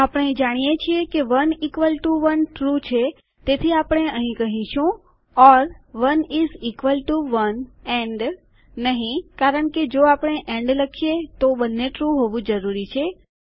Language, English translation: Gujarati, We know that 1 equals to 1 is true so here we are saying or 1 is equal to 1 not and because we said and then both would have to be true